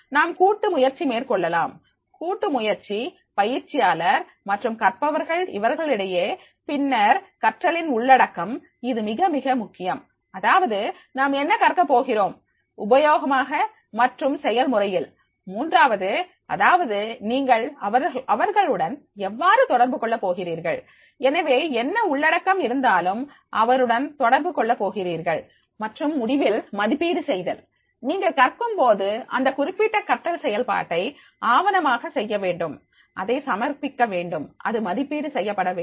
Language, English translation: Tamil, We can go with the collaboration, collaboration between the learner and the trainees, then the learning content that is very very important, that is what they are going to learn, that is making the useful and practical, third is that is the how do you communicate with them, so therefore whatever the the content is there that you are communicating to them and finally that is the assessment